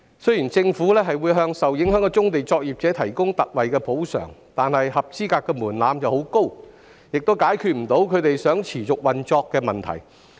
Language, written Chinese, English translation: Cantonese, 雖然政府會為受影響的棕地作業者提供特惠補償，但申領特惠補償門檻過高，亦未能解決他們持續運作的問題。, While the Government will provide ex - gratia compensation for affected brownfield operators the application threshold for the ex - gratia compensation is too high and the issue of operational sustainability remains unresolved